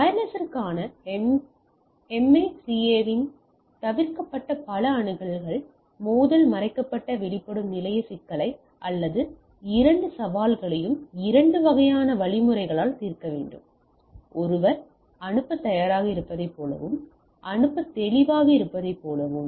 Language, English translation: Tamil, So, Multiple Access Collision Avoided on MACA for wireless has to solve the hidden exposed station problem or these two challenges by, two type of mechanisms; like one is ready to send and clear to send